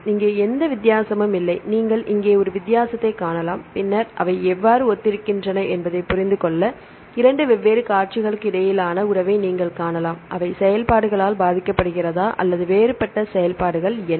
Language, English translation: Tamil, Here there is no difference, here there is no difference and you can see a difference here, and then you can see the relationship between two different sequences to understand how they are similar, what are the different functions whether they are affected by the functions and so on